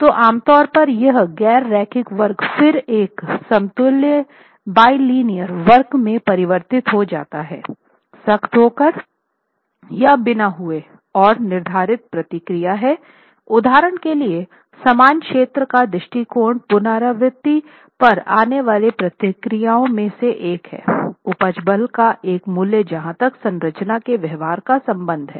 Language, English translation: Hindi, So, what is typically done is that this nonlinear curve is then converted into an equivalent bilinear curve with or without hardening and there are prescribed procedures for example equal area approach is one of the procedures to arrive at iteratively a value of yield force as far as the behavior of the structure is concerned